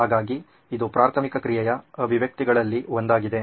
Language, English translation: Kannada, So this is one of the manifestations of preliminary action